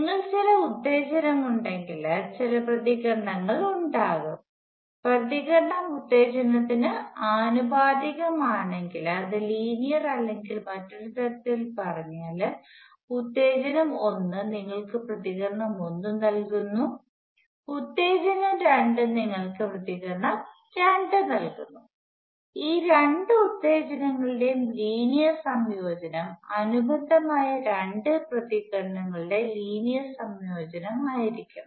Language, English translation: Malayalam, If you have certain excitation certain responses, if the response is proportional to the excitation it is linear or in other words if excitation one gives you response one, excitation two gives you, response two then linear combination of these two excitation should give the same linear combination of the two corresponding responses